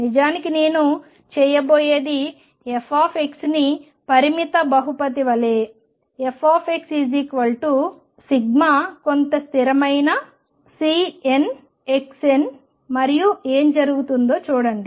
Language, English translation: Telugu, In fact, what I am going to do is a f x as a finite polynomial some constant C n x raised to n and see what happens